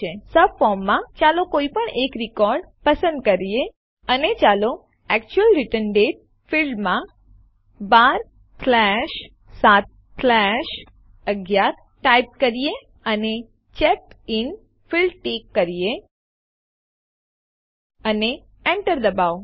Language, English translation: Gujarati, In the subform, let us choose any record and let us type in 12/7/11 in the actual return date field and check the CheckedIn field and press Enter